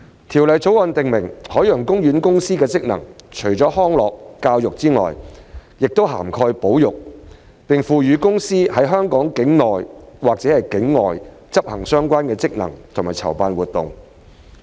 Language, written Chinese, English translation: Cantonese, 《條例草案》訂明海洋公園公司的職能除了康樂、教育外，亦涵蓋保育，並賦予海洋公園公司在香港境內或境外執行相關職能及籌辦活動。, The Bill states that the functions of OPC include conservation in addition to recreation and education and empowers OPC to carry out related functions and organize activities in or outside Hong Kong